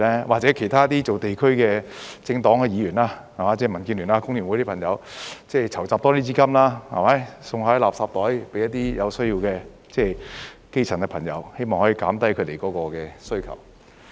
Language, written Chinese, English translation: Cantonese, 或者由其他做地區工作的政黨、議員，即是民主建港協進聯盟、香港工會聯合會的朋友籌集更多資金，送贈垃圾袋給一些有需要的基層朋友，希望可以減低他們的需求。, friends from the Democratic Alliance for the Betterment and Progress of Hong Kong and the Hong Kong Federation of Trade Unions can raise more funds to give away free garbage bags to some grass - roots people in need in the hope of reducing their demand for such bags?